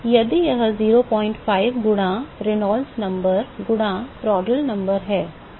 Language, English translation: Hindi, 05 times Reynolds number times Prandtl number